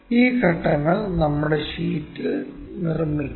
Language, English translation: Malayalam, First of all let us construct these steps on our sheet